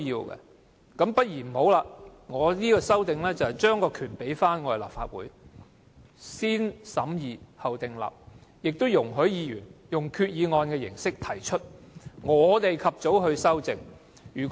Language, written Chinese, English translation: Cantonese, 我提出這項修正案，便是把權力交回立法會，"先審議後訂立"，並且容許議員用決議案的形式提出，由我們及早修正。, By proposing this amendment my aim is to return the power to the Legislative Council by means of positive vetting and by allowing Members to put forward proposals by resolutions so that we can make timely amendments